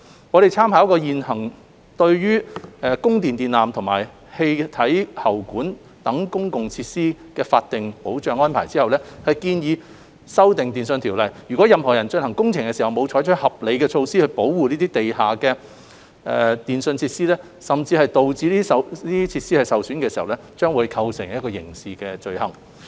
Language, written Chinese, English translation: Cantonese, 我們參考現行對供電電纜及氣體喉管等公共設施的法定保障安排後，建議修訂《電訊條例》，若有任何人進行工程時沒有採取合理措施保護地下電訊設施，甚至導致設施受損，將會構成刑事罪行。, With reference to the existing statutory protection arrangements for public facilities such as electricity supply lines and gas pipes we propose to amend TO to create criminal offences against any person who does not take reasonable steps to protect or who even causes damage to underground telecommunications facilities when carrying out any work